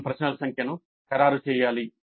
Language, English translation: Telugu, The total number of questions must be finalized